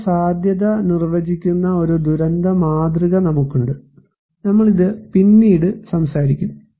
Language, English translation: Malayalam, So, we have this model of disaster, defining disaster vulnerability, we will talk this one later on